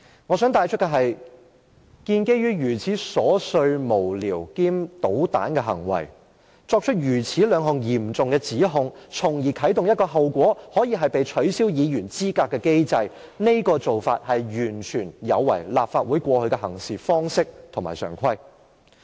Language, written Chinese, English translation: Cantonese, 我想指出的是，基於一項如此瑣碎、無聊兼搗蛋的行為，作出兩項如此嚴重的指控，從而啟動一個後果可以是"被取消議員資格"的機制，這種做法完全有違立法會過去的行事方式和常規。, I have to point out that the two severe allegations are made on the ground of a trivial meaningless and mischievous act yet it has set off the mechanism with the consequence of a Member being disqualified from office . This practice runs totally against the approaches and conventions adopted by the Legislative Council all along